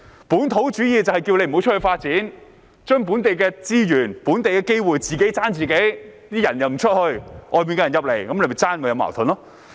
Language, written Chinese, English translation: Cantonese, "本土主義"就是主張不要到外面發展，把本地的資源、本地的機會"自己爭自己"；人們不到外面，外面的人進來爭奪的話就有矛盾。, Localism advocates against seeking development outside . Instead it encourages fellow people to fight among themselves for local resources and opportunities . As people do not go outside conflicts will arise if outsiders muscle in for a share